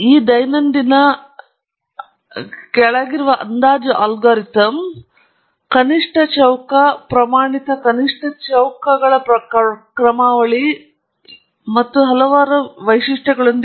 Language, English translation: Kannada, The estimation algorithm underneath this routine is a least square standard least squares algorithm with a lot of other features as well